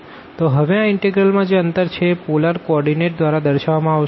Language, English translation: Gujarati, So now, this integral the given interval will be represented in this polar coordinate